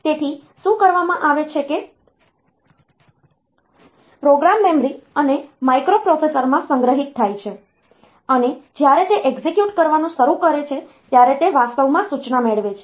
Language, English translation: Gujarati, So, what is done is that the program is stored in the memory and as I said that microprocessor, any microprocessor when it starts executing, it is actually getting the instruction